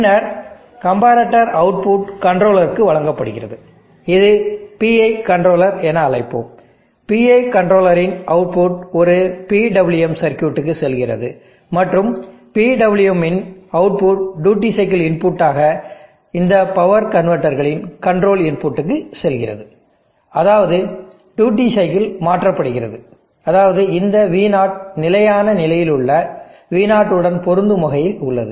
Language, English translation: Tamil, And then this comparator output given to controller lets a PI controller, output of the PI controller goes to a PWM circuit and output of the PWM goes as duty cycle input to the control input to this power convertors, such that the duty cycle is change such that this V0 will match V0 in the steady state